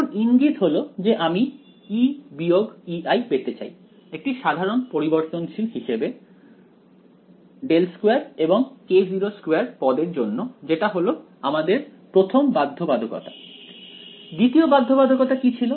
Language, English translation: Bengali, Now the hint was that I want to get E minus E i as the common variable both for del squared and k naught squared term that is the first constraint second constraint was what